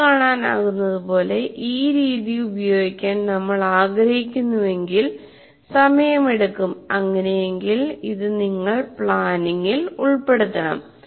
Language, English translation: Malayalam, So if you want to use this method, it takes time and you have to incorporate, you have to incorporate this feature into planning